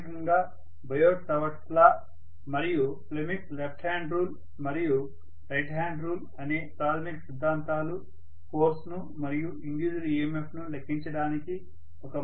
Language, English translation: Telugu, The fundamental theorem that is the biot savart’s law as well as you know the Fleming’s left hand and right hand rule give you basically a way to calculate the force and as well as whatever is the EMF induced